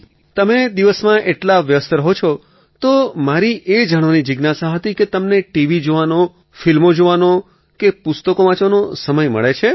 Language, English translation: Gujarati, If you are so busy during the day, then I'm curious to know whether you get time to watchTV, movies or read books